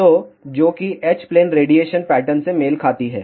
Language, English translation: Hindi, So, that corresponds to h plane radiation pattern